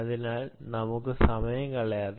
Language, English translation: Malayalam, so, ah, let us not waste any time